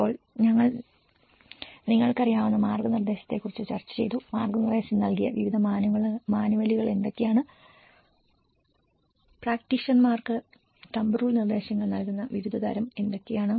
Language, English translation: Malayalam, Then we did discuss about the guidance you know, what are the various manuals that has provided guidance, what are the various kind of giving thumb rule directions to the practitioners